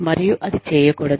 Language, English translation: Telugu, And, that should not be done